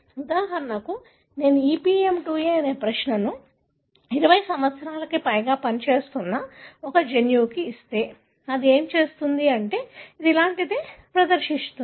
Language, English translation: Telugu, For example, if I give a query called EPM2A a gene that I have been working on for more than 20 years, what it would do is that it would display something like this